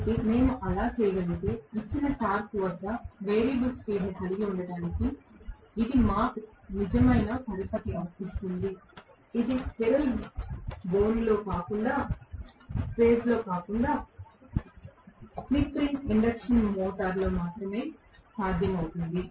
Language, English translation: Telugu, So, if we can do that, that really gives me the leverage to have variable speed at a given torque that is possible only in slip ring induction motor not in squirrel cage